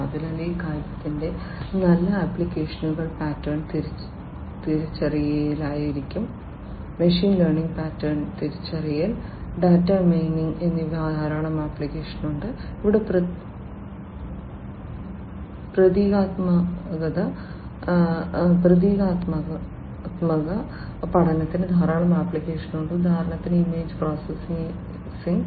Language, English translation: Malayalam, So, applications of this thing good applications would be in pattern recognition, machine learning has lot of applications in pattern recognition, data mining, and here symbolic learning has lot of applications in for example, image processing, image processing